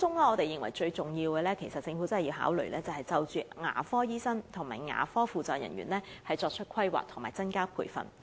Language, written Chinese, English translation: Cantonese, 我們認為當中最重要的是，政府必須就牙科醫生和牙科輔助人員的供應作出規劃和增加培訓。, Most importantly we consider it necessary for the Government to conduct a planning on the supply of and enhanced training for dentists and ancillary dental workers